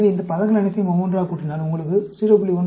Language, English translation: Tamil, So, if you add up all these terms together, you will get 0